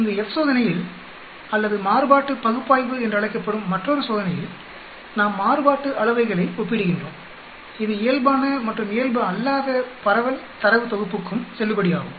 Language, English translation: Tamil, Here in F test or there is another test called analysis of variance, we are comparing variances this is way valid for normal and non normal distribution data set also